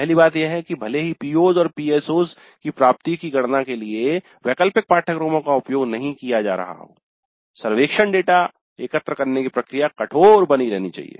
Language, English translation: Hindi, First thing is that even though the elective courses are not being used to compute the attainment of POs and PSOs the process of collecting survey data must remain rigorous